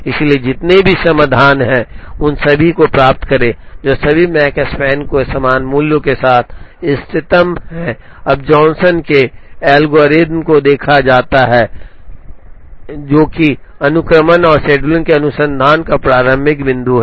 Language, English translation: Hindi, So, get as many solutions as there are ties all of them are optimum with the same value of Makespan, now Johnson’s algorithm is seen is the starting point of research in sequencing and scheduling